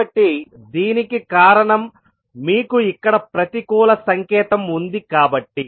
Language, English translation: Telugu, So, this is because you have the negative sign here